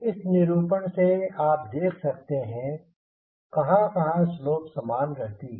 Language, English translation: Hindi, from this plot you can notice that the slope remains the same